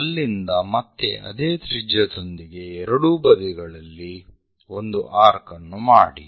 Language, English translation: Kannada, So, from there again with the same radius make an arc on both sides